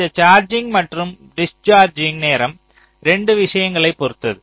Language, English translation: Tamil, ok, so this charging and discharging time will depend on two things